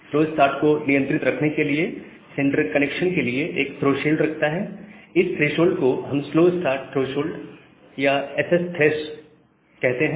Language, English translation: Hindi, Now, to keep the slow start under control, the sender keeps a threshold for the connection, we call this threshold as the slow start threshold or ssthresh